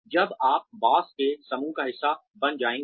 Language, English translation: Hindi, When you will become a part of the, in group of the boss